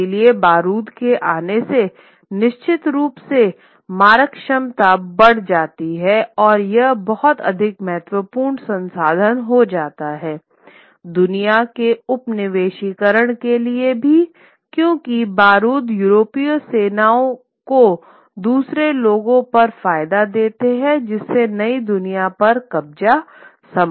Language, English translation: Hindi, So the coming of the gunpowder certainly increases the firepower and it becomes a very important resource also for the colonization of the world because gunpowder gives the European armies the advantage is over the people from the other lands which leads to the capture of these new words possible